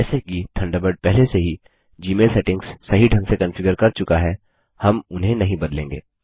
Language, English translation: Hindi, As Thunderbird has already configured Gmail settings correctly, we will not change them